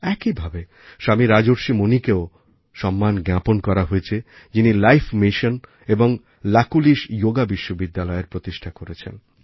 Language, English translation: Bengali, Similarly, Swami Rajarsrhi Muni the founder of Life Mission and Lakulish Yoga University was also honoured